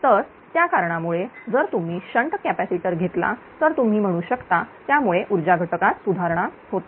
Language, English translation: Marathi, So, that is why if you put shunt capacitor that your what you call that it improves the power factor